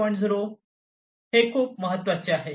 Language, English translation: Marathi, 0 is very important